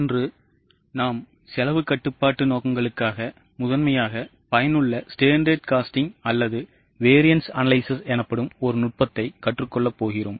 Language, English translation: Tamil, Today we are going to learn a technique known as standard costing or variance analysis that is primarily useful for cost control purposes